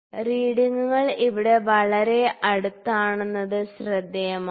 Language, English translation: Malayalam, So, it is interesting to note that the readings are quite close here